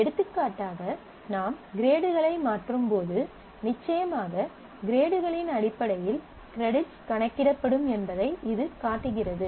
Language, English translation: Tamil, For example, this is showing one that as you change the grades then certainly based on the grades credit earned value is computed